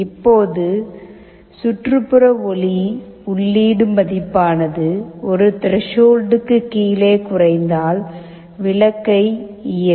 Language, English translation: Tamil, Now, if the ambient light input falls below a threshold, the bulb will turn on